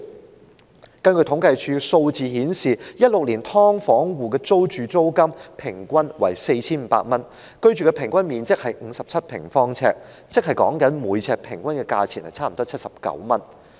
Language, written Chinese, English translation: Cantonese, 根據政府統計處的數字顯示 ，2016 年"劏房戶"的平均租金為 4,500 元，平均居住面積是57平方呎，即每平方呎平均差不多79元。, According to the statistics of CSD in 2016 the average rental payment of households living in subdivided units was 4,500 and the average area of accommodation was 57 sq ft which means close to 79 per square foot on average